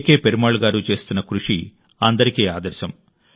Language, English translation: Telugu, Perumal Ji's efforts are exemplary to everyone